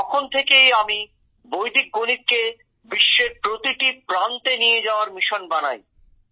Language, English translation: Bengali, Since then I made it a mission to take Vedic Mathematics to every nook and corner of the world